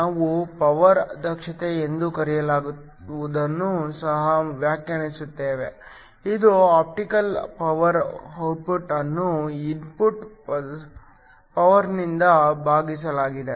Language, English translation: Kannada, We also define something called a power efficiency ηp, which is the optical power output divided by the input power